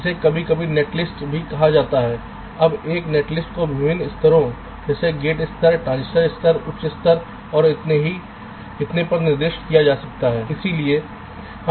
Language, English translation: Hindi, now a net list can be specified at various level, like gate level, transistor level, higher level and so on